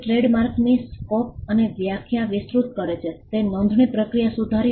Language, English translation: Gujarati, It enlarged the scope and definition of trademark; it improved the process of registration